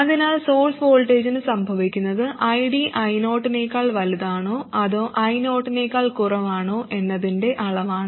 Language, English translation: Malayalam, What is happening to the source voltage is a measure of whether ID is greater than I0 or less than I not